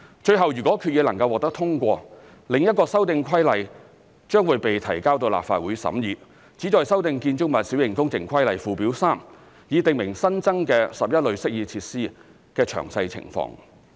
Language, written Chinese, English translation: Cantonese, 最後，如果決議能夠獲得通過，另一修訂規例將會被提交到立法會審議，旨在修訂《建築物規例》附表 3， 以訂明新增的11類適意設施的詳細情況。, Lastly upon passage of the current resolution a separate amendment regulation would be tabled to the Legislative Council to amend Schedule 3 to the Building Minor Works Regulation to prescribe the 11 types of amenity features